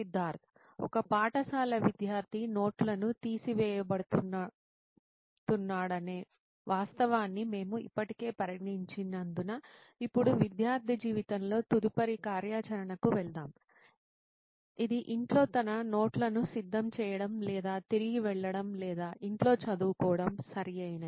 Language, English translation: Telugu, Since we have already considered the fact that how a school student is going to take down notes, now let us get into the next activity of a student life which is preparing or going back to he is notes at home or studying at home, right